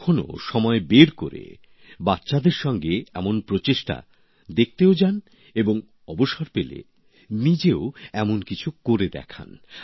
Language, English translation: Bengali, Take out some time and go to see such efforts with children and if you get the opportunity, do something like this yourself